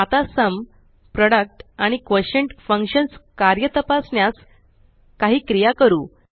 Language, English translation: Marathi, Now lets perform some operations to check how the Sum, Product and the Quotient functions work